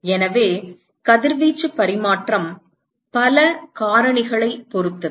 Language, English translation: Tamil, So, the radiation exchange would depend on several factors